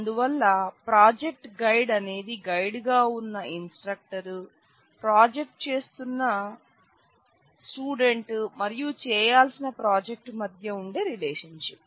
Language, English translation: Telugu, So, the relationship project guide is a relationship between the guide who is an instructor, the student who will do the project and the project that has to be performed